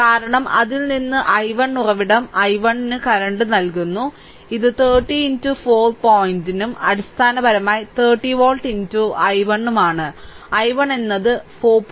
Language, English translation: Malayalam, Because, from the source that i 1 source supplying i 1 current, so it is 30 into 4 point and basically 30 volt into i 1; i 1 is 4